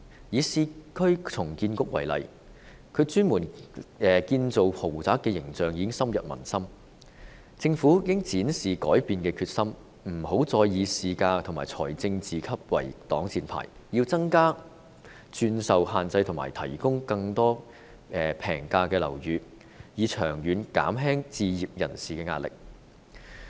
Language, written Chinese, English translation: Cantonese, 以市區重建局為例，其專門建造豪宅的形象已經深入民心，政府應展示改變的決心，不要再以市價和財政自負盈虧作為擋箭牌，要增加轉售限制及提供更多平價樓宇，以長遠減輕置業人士的壓力。, The image of it dedicating to developing luxurious residential apartments has already taken root in the hearts of the people . The Government should demonstrate the determination to change such public feeling . It must cease to use market price and the self - financing principle as the shield